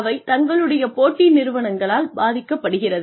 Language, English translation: Tamil, They are influenced by their competitors